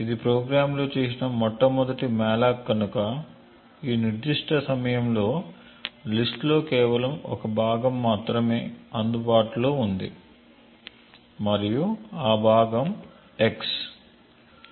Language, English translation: Telugu, Since this is the first malloc that is done in the program therefore in this particular point in time the list has just one chunk that is available and that chunk is x